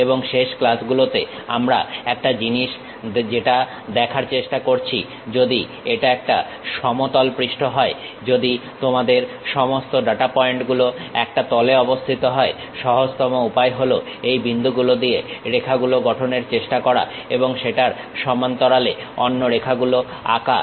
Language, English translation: Bengali, And, one of the thing what we try to look at in the last classes was if it is a plane surface if all your data points lying on one single plane, the easiest way is trying to construct lines across these points and drawing other lines parallelly to that